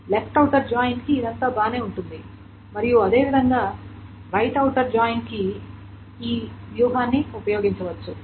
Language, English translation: Telugu, This is all fine for the left outer join and similarly the strategy can be used for right outer join